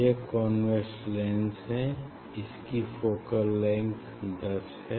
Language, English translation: Hindi, this is the convex lens; its focal length is around 10